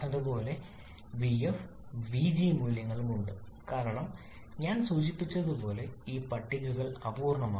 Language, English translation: Malayalam, Similarly, the vf and vg values are also there as I mentioned these tables are incomplete